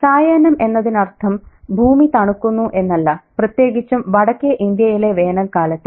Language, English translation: Malayalam, The evening doesn't mean that it is, you know, the earth is getting cooled down, at least not in India in the north, during the summer